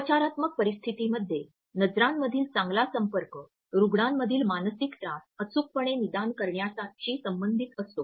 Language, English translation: Marathi, In therapeutic relationships a good eye contact is associated with a better and more successful recognition of psychological distresses in patients